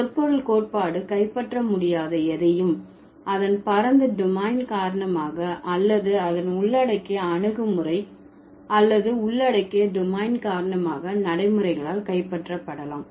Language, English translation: Tamil, So, anything that semantic theory cannot capture can be captured by pragmatics because of its broad domain or because of its inclusive approach or the inclusive domain